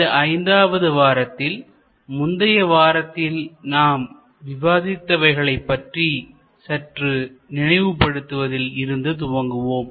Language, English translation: Tamil, So, in this week five we can first start with a bit of a recap about our last week’s discussions